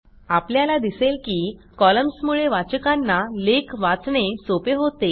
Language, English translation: Marathi, So you see columns make it easier for the reader to go through multiple articles